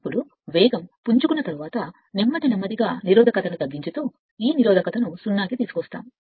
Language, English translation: Telugu, Now after that I when speed is pick up slowly and slowly cut the resistance and bring this resistance to 0